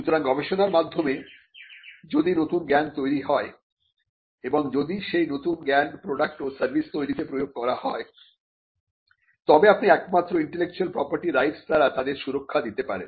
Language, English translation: Bengali, So, if new knowledge is created through research and if that new knowledge is applied into the creation of products and services, the only way you can protect them is by intellectual property rights